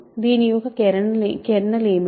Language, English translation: Telugu, What is kernel